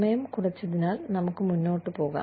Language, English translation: Malayalam, So, since the time has been reduced, let us move on